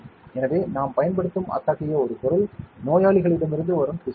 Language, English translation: Tamil, So, one such material that we use are tissues from patients